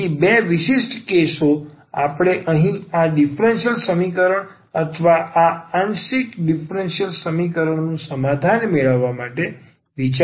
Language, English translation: Gujarati, So, these two special cases we will consider here to get the solution of this differential equation or this partial differential equation here